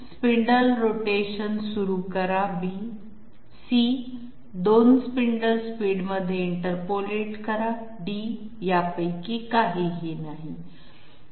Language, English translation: Marathi, B: start the spindle rotation, interpolate between 2 spindle speeds, none of the others